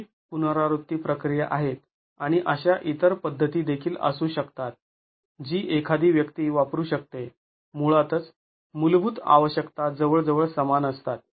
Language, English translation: Marathi, Both are iterative procedures and they can be other methods also that one can use basically the fundamental requirements are almost the same